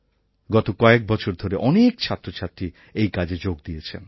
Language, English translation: Bengali, For the past many years, several students have made their contributions to this project